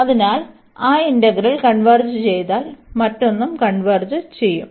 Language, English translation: Malayalam, And since this integral g converges, the other one will also converge